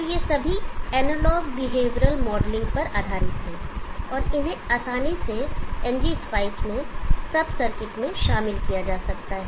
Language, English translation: Hindi, So these are all based on analog behavioural modelling and they can be easily included at sub circuits in NG spice